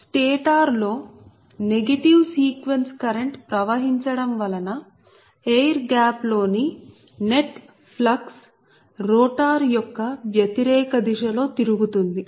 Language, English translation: Telugu, so, with the flow of negative sequence current in the stator right, the net flux in the air gap rotates at opposite direction to that of the rotor